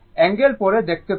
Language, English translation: Bengali, Angle we will see later